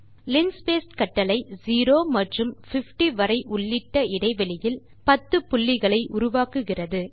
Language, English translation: Tamil, Linspace command creates 10 points in the interval between 0 and 50 both inclusive